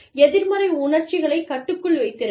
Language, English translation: Tamil, Keep negative emotions, under control